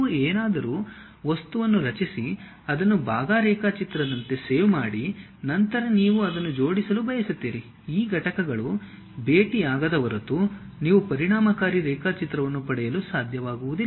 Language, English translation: Kannada, You create something object, save it like part drawing, then you want to really make it assemble unless these units meets you will not be in a position to get effective drawing